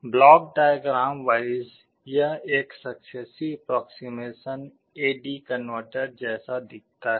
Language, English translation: Hindi, Block diagram wise this is how a successive approximation A/D converter looks like